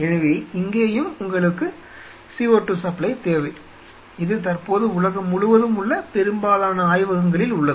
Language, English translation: Tamil, So, that again brings us that you needed a supply of CO2, which most of the labs currently across the world does you know